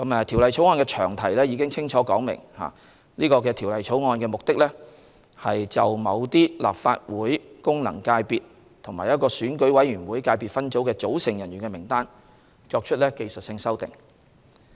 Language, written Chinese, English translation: Cantonese, 《條例草案》的詳題已清楚指明，《條例草案》的目的旨在就某些立法會功能界別及一個選舉委員會界別分組的組成人士的名單作出技術性修訂。, As set out clearly in its long title the Bill seeks to make technical amendments concerning the lists of persons comprising certain Legislative Council FCs and an EC subsector